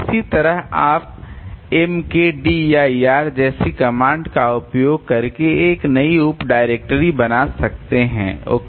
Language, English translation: Hindi, Similarly you can create a new sub directory by making using a command something like mkDIR